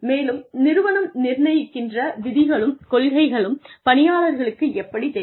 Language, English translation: Tamil, And, how do people, deciding on the rules and policies of an organization know